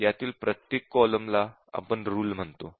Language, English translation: Marathi, And each of these column here, we call it as a rule